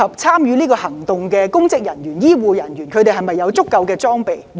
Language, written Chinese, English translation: Cantonese, 參與行動的公職人員和醫護人員是否有足夠裝備？, Are public officers and health care workers who will take part in the operation fully equipped?